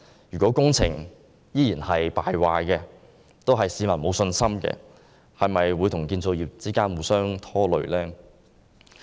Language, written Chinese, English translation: Cantonese, 如果工程依然敗壞，令市民沒有信心，會否與建造業互相拖累？, If the performances of these projects continue to be under par the public will have no confidence and will this affect the construction industry?